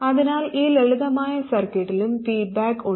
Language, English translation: Malayalam, So there is feedback in this simple circuit as well